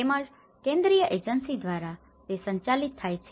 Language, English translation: Gujarati, And also, administrate by a central agency